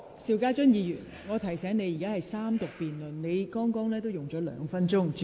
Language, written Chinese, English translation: Cantonese, 邵家臻議員，我提醒你，本會現正進行三讀辯論。, Mr SHIU Ka - chun I remind you that the Council is now having a Third Reading debate